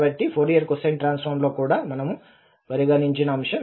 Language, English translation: Telugu, So that is exactly the factor we have considered also in Fourier cosine transform